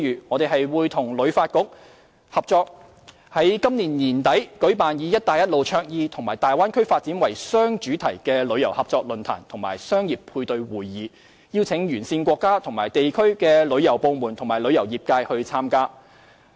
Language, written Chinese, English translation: Cantonese, 我們會與香港旅遊發展局合作，在今年年底舉辦以"一帶一路"倡議與大灣區發展為雙主題的旅遊合作論壇及商業配對會議，邀請沿線國家和地區旅遊部門及旅遊業界參加。, We will collaborate with the Hong Kong Tourism Board HKTB to organize a tourism forum late this year under the themes of the Belt and Road and the Bay Area with a business matching conference and invite the tourism departments and industries of countries and regions along the Belt and Road to participate